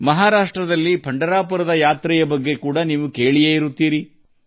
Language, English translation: Kannada, As you must have heard about the Yatra of Pandharpur in Maharashtra…